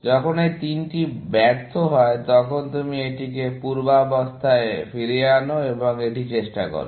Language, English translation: Bengali, When all these three fail, then you undo this and try this